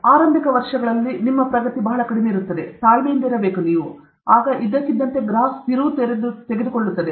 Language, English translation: Kannada, In the initial years, your progress will be very less, you should have patience, then suddenly the graph takes a turn; isn’t it